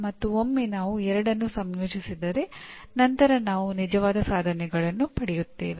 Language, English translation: Kannada, And once we combine the two then we get the actual attainments